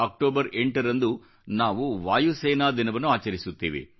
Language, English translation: Kannada, We celebrate Air Force Day on the 8th of October